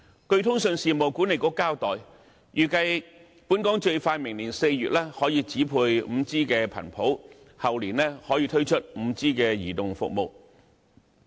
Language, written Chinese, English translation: Cantonese, 據通訊事務管理局交代，預計本港最快明年4月可以指配 5G 頻譜，後年可以推出 5G 移動服務。, According to the Communications Authority 5G spectrum is expected to be assigned in Hong Kong by April next year the earliest followed by the launch of 5G mobile services in the year after next